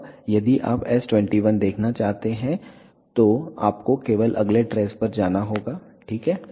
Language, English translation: Hindi, Now, if you want to see s 21 all you need to do is move to next trace, ok